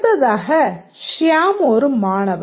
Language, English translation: Tamil, The next one is Siam is a student